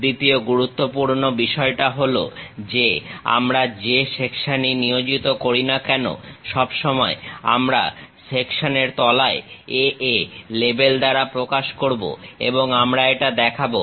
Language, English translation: Bengali, The second most thing is we always represent whatever the section we have employed with below section A A label we will show it